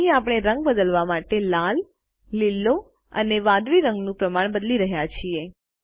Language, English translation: Gujarati, Here we are changing the proportion of red, green and blue to change the color